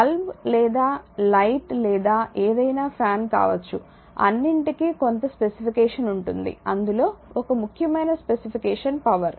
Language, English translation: Telugu, If you see anything can be bulb or any light or fan, you will find some specification is there and one important specification is the power right